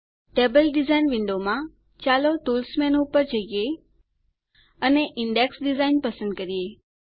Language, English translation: Gujarati, In the table design window, let us go to the Tools menu and choose Index Design